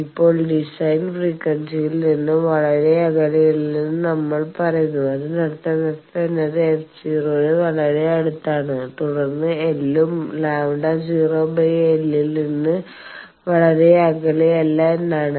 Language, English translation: Malayalam, Now, we say that we are not very far away from the design frequency that means f is quite near to f naught and then L also is not very far from lambda naught by 4